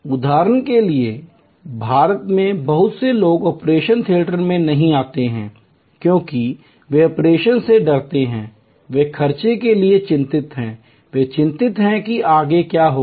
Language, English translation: Hindi, For example, that in India lot of people do not come to the operation theater, because they are scared of operations, they are worried about the expenses, they are worried about what will happen next